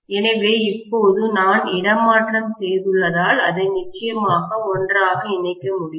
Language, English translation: Tamil, So, now that I have transferred, I can definitely connect it together